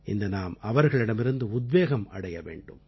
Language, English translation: Tamil, Today, we shall draw inspiration from them